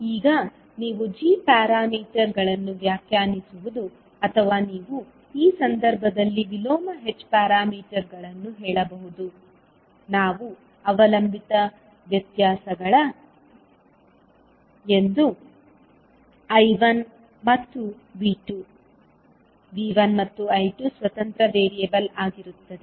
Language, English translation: Kannada, Now, in this case when you are defining the g parameters or you can say the inverse of h parameters, we will have the dependent variables as I1 and V2, independent variable will be V1 and I2